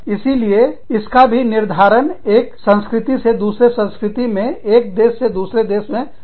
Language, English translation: Hindi, So, that can also be determined by, it varies from culture to culture, country to country